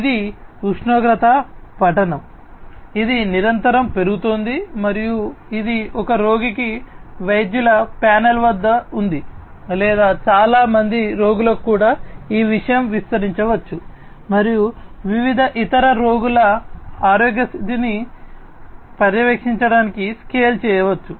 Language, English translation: Telugu, This is the temperature reading, this is continuously increasing and let us say that, this is at the doctors panel for one patient or for many patients also this thing can be extended and can be scaled up to monitor the health condition of different other patients